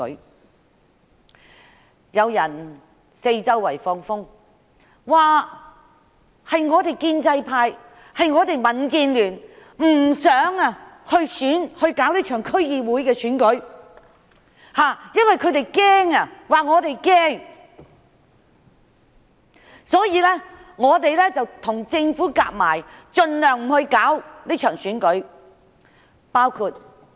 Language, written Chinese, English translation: Cantonese, 現時卻有人四處放風，指建制派、民建聯不想如期舉行這次區議會選舉，說由於我們害怕，所以便與政府合謀，盡量阻礙這場選舉舉行。, Now people are spreading the rumour that the pro - establishment camp and DAB do not want the DC Election to be held as scheduled; and because we are afraid we are conspiring with the Government to deter the election as far as possible